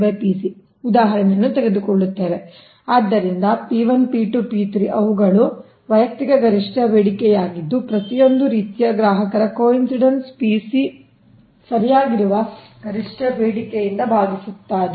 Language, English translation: Kannada, so p one, p two, p three, they are individual maximum demand of your, what you call that each, each type of consumers, divided by the coincidence maximum demand